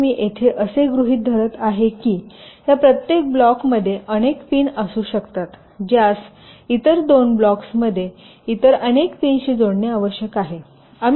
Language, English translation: Marathi, so what i here assume is that in each of these blocks there can be several pins which need to be connected to several other pins in other two blocks